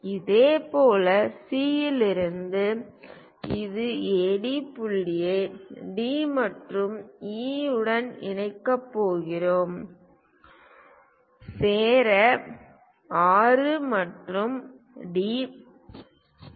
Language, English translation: Tamil, Similarly, from C it is going to intersect AD point join D and E; join 6 and D